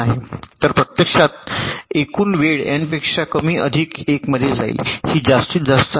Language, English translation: Marathi, so actually the total time will less than n into m plus one